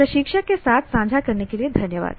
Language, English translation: Hindi, Thank you for sharing with the instructor